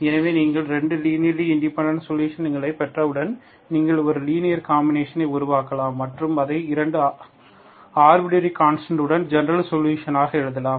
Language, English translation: Tamil, So once you get 2 linearly independent solutions, you can make a linear combination and you can write it as general solution with 2 arbitrary constant